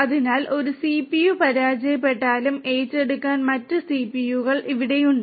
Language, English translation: Malayalam, So, even if one CPU fails there are other you know CPUs which will be here to take over